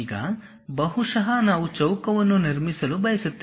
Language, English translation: Kannada, Now, maybe we want to construct a square